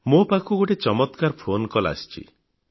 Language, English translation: Odia, I have received an incredible phone call